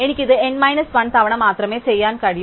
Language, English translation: Malayalam, So, I can only do this deletion n minus one times